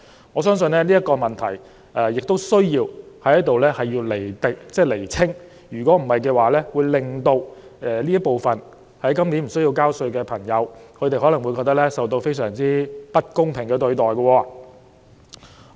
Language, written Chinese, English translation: Cantonese, 我相信就這個問題，當局亦需要在此釐清，不然便會令到這群在今年無須繳稅的人士，感覺自己受到不公平對待。, I believe that the authorities need to clarify this issue otherwise this group of people who are not taxable this year will feel being unfairly treated